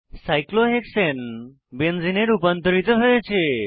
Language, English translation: Bengali, Let us now convert cyclohexane to a benzene ring